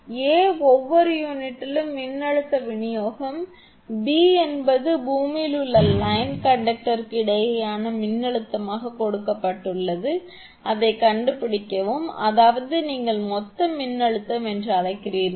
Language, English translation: Tamil, Find, a voltage distribution across each unit; b is take it is given that voltage between the line conductor in the earth; that means what you call the total voltage